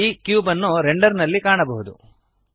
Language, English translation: Kannada, The cube can now be seen in the render